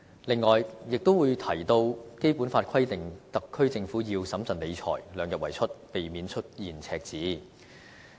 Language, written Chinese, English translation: Cantonese, 此外，亦會提到《基本法》規定了特區政府要審慎理財，量入為出，避免出現赤字。, Moreover he will then mention the requirements under the Basic Law that the Government should exercise fiscal prudence keep expenditure within the limits of revenue and avoid deficits